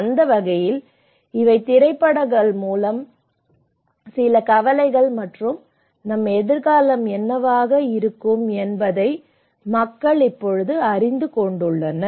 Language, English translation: Tamil, In that way, these are some concerns through various films and people are also now becoming aware of what is going to be our future